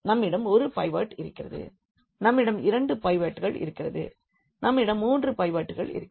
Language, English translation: Tamil, We have one pivot, we have two pivots, we have three pivots